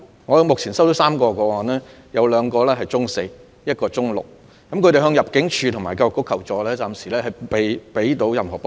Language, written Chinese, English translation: Cantonese, 我目前收到3宗個案，包括兩名中四學生及一名中六學生，他們曾向入境處及教育局求助，但暫時政府仍未能給予任何幫助。, There are students among them . I have received three cases from two Secondary Four students and one Secondary Six student . They have sought assistance from ImmD and the Education Bureau yet no help can be offered for the time being